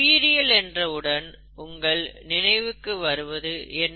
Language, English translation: Tamil, When you think of ‘Biology’, what does it bring to your mind